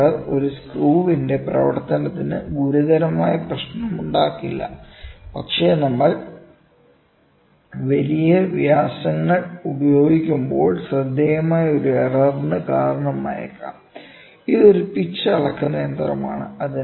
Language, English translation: Malayalam, This error does not pose a serious problem for the functioning of a screw, but may result in a noticeable error, when we will be using large diameters; this is a pitch measuring machine